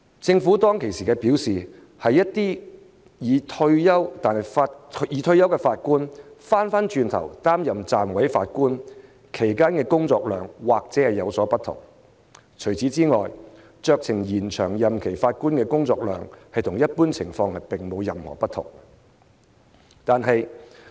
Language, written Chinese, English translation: Cantonese, 政府當時表示，一些已退休但再擔任暫委法官的法官，其工作量或許有所不同，除此之外，酌情延長任期法官的工作量與一般法官並無任何不同。, At that time the Government said that the workload of some retired Judges who agree to serve as Deputy Judges may be different but other than that there is little difference between the workload of Judges who have agreed to a discretionary extension of their term of office and that of ordinary Judges